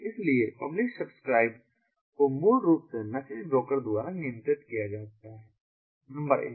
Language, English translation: Hindi, so publish, subscribe is basically controlled by the message broker number one